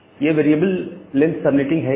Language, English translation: Hindi, What is this variable length subnetting